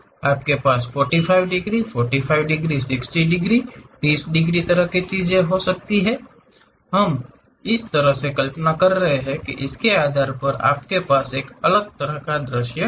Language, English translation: Hindi, You can have 45 degrees, 45 degrees, 60 degrees, 30 degrees kind of thing; based on how we are visualizing that, you will have different kind of views